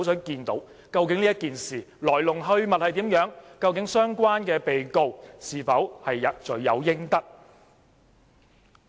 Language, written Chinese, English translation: Cantonese, 究竟這件事的來龍去脈如何？相關被告是否罪有應得？, It is a wish of Hong Kong people to learn about the details of the issue and to know whether the defendant is guilty